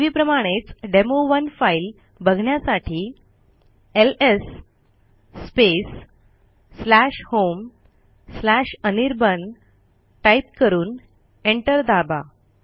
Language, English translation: Marathi, As before to see the demo1 type ls/home/anirban and press enter